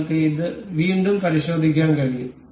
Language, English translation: Malayalam, We can check it again